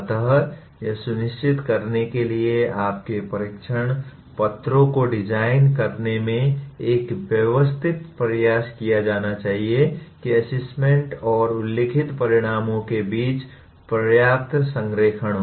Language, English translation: Hindi, So a systematic effort should be made in designing your test papers to ensure there is adequate alignment between assessment and the stated outcomes